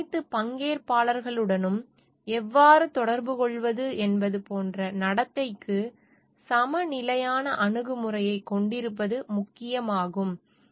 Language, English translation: Tamil, And it is important to have a balanced approach towards the behave like towards how to interact with all these stakeholders